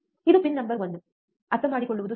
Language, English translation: Kannada, This is pin number one, it is easy to understand